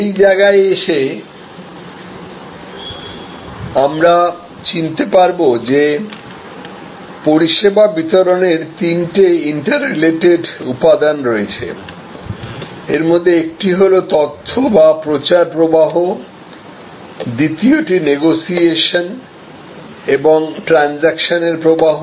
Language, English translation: Bengali, At this point we will recognize that there are three interrelated elements of distribution, service distribution, one of them is information or promotion flow, the second is negotiation and transaction flow